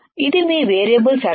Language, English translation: Telugu, This is your variable supply